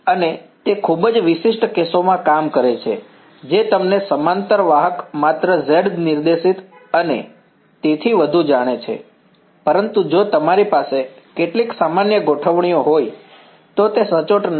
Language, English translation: Gujarati, And, that that works for very special cases of you know parallel conductors only Z directed and so on, but if you have some general configuration it is not accurate